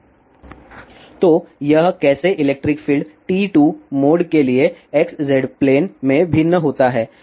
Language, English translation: Hindi, So, this is how electric field varies in X Z plane for TE 2 mode